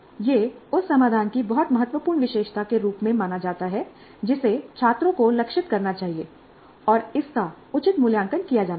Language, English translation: Hindi, That is considered as very important feature of the solution that the students must aim it and it must be assessed appropriately